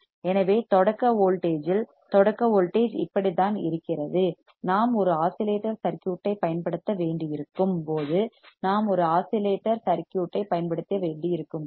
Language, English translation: Tamil, So, this is how the starting voltage is there in the starting voltage is there when we have to use an oscillator circuit, when we have to use an oscillator circuit